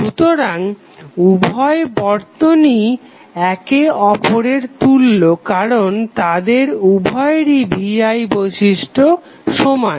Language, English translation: Bengali, So, that means that both of the circuits are equivalent because their V I characteristics are same